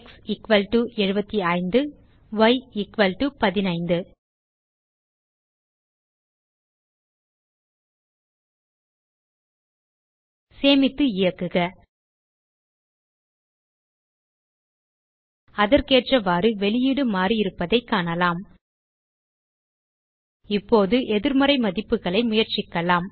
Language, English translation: Tamil, x=75,y = 15 Save it Run we see that the output has changed accordingly Now let us try negative values